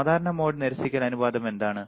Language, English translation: Malayalam, What is common mode rejection ratio